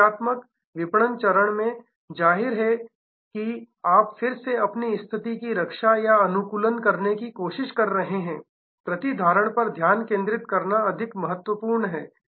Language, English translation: Hindi, In the defensive marketing stage; obviously, where you are trying to protect or optimize your position again it is absolutely important to have a keen focus on retention